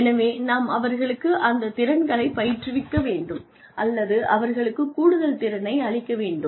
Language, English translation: Tamil, So, one needs to train them, in those skills, or, they may not have additional knowledge